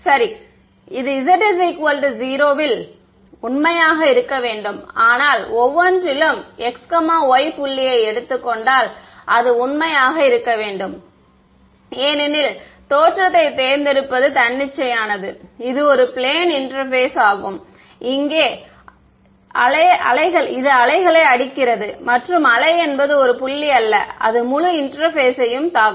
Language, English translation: Tamil, So, right so, this should be true at z equal to 0, but at every at if I take any point x y it should be true right, because the choice of origin is arbitrary it is a plane interface that the wave hitting over here right, and the wave is not a it is not a point right its hitting the entire interface